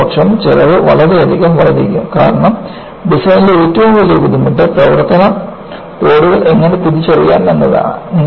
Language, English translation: Malayalam, Otherwise, the cost will enormously increase; because one of the greatest difficulties in design is, how to identify the service loads